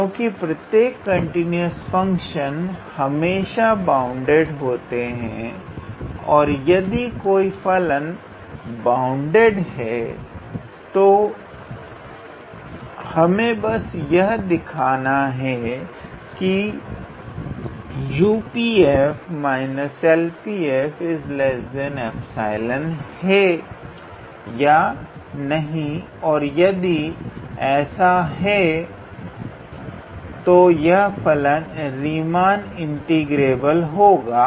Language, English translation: Hindi, So, this makes sense because every continuous function is always bounded and if the function is bounded then all we have to show that whether the U P f minus L P f is less than epsilon or not and if it does then in that case the function is Riemann integrable